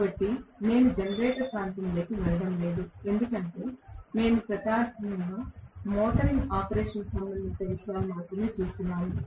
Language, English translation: Telugu, So, let me not get into generator region because we were only primarily concerned with the motoring operation